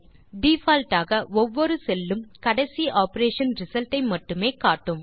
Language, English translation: Tamil, By default each cell displays the result of only the last operation